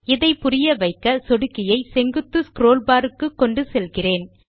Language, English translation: Tamil, To illustrate this, let me take the mouse to the vertical scroll bar